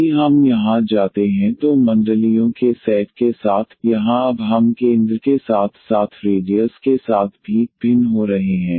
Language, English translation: Hindi, Again the set of the circles if we take here, here now we are also varying with the centre and as well as the radius